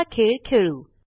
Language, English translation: Marathi, Now let us play a game